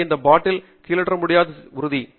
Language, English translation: Tamil, So, that ensures that the bottle cannot be topple down